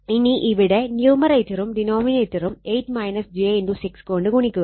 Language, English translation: Malayalam, Here also numerator and denominator you multiply by 8